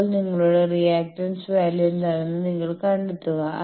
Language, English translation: Malayalam, Now, you find out what is your reactance value